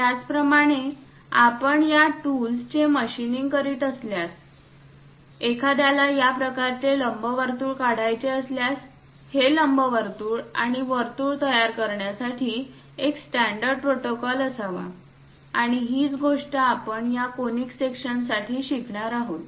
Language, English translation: Marathi, Similarly, when you are machining these tools; if one requires this kind of ellipse is, there should be a standard protocol to construct these ellipse and circles, and that is the thing what we are going to learn for this conic sections